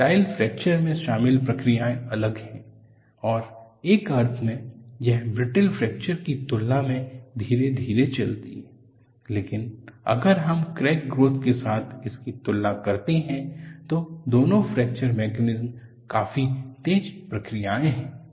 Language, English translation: Hindi, The processes involved in ductile fracture are different and in a sense, it move slowly in comparison to brittle fracture, but if we compare it with crack growth both the fracture mechanisms are ultra fast processes